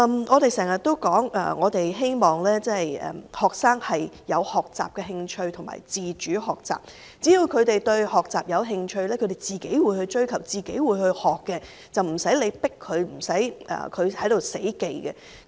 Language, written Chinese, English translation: Cantonese, 我們經常說希望學生有學習的興趣和自主學習，只要他們對學習感興趣，便會自行追求和學習，不用強迫他們，他們也無需死記。, We often say that we hope to foster an interest in learning among students and to shape them into self - directed learners . As long as they have the motivation to learn they will pursue and seek knowledge on their own without being forced and without the need for rote learning